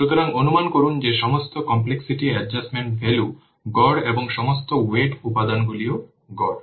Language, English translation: Bengali, So, and assume that all the complexity adjustment values are average and all the weighting factors are average